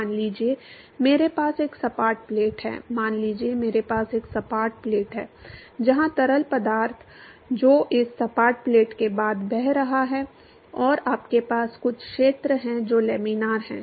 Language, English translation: Hindi, Suppose I have a flat plate, suppose I have a flat plate ok where the fluid which is flowing after this flat plate, and you have some region which is laminar